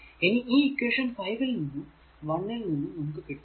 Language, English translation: Malayalam, So, you solve from equation 5 and 1 we will get